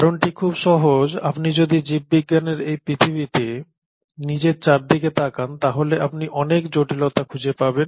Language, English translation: Bengali, And the reason is very simple because if you look around yourself in this world of life biology, you find huge amount of complexity